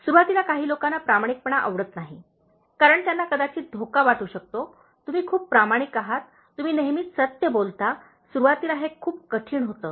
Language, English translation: Marathi, Honesty may not be liked by some people initially, because they may feel threatened; you are too honest, you’re speaking the truth all the time, it is very difficult initially